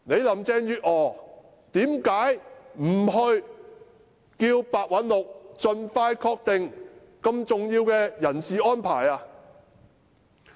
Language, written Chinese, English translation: Cantonese, 林鄭月娥為何不要求白韞六盡快敲定如此重要的人事安排？, Why does Mrs Carrie LAM CHENG Yuet - ngor not demand Simon PEH to finalize as soon as practicable the candidature for such an important post then?